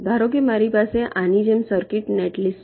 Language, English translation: Gujarati, suppose i have a circuit, netlist, like this